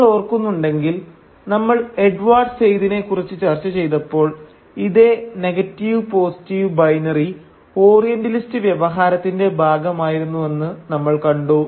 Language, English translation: Malayalam, And if you remember, when we discussed Edward Said we saw that this same negative/positive binary was also equally part of the Orientalist discourse